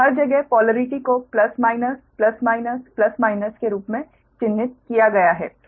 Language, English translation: Hindi, so everywhere polarity is marked plus, minus, plus, minus, plus, minus